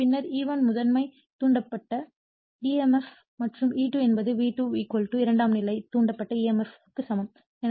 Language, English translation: Tamil, So, that then E1 is the primary induced emf and E2 is the see your E2 equal to V2 = secondary induced emf